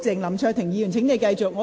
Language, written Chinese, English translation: Cantonese, 林卓廷議員，請你繼續發言。, Mr LAM Cheuk - ting please continue with your speech